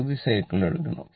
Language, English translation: Malayalam, You have to take half cycle